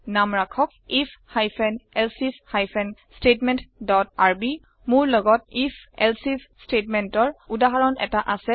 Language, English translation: Assamese, Name it if hyphen elsif hyphen statement dot rb I have a working example of the if elsif statement